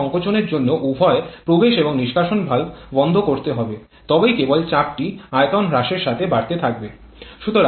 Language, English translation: Bengali, Because for the compression to happen both inlet and exhaust valve has to be closed then only the pressure can keep on increasing with reduction in volume